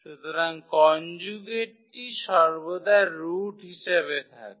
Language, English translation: Bengali, So, the conjugate will be always there as the root